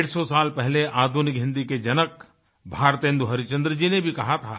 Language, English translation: Hindi, Hundred and fifty years ago, the father of modern Hindi Bharatendu Harishchandra had also said